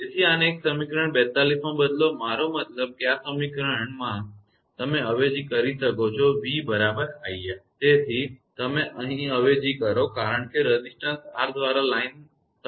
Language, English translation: Gujarati, So, substitute this one into equation 42 I mean in this equation you substitute v is equal to iR here you substitute because, line is terminated in the receiving end by resistance R